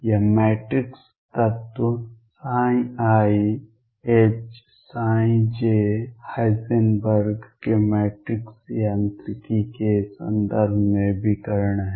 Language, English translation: Hindi, Or the metrics element psi i H psi j is diagonal in terms of Heisenberg’s matrix mechanics